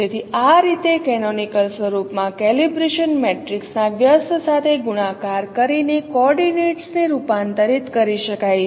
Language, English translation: Gujarati, So this is how in the canonical form the coordinates can be converted just by multiplying with the inverse of the calibration matrix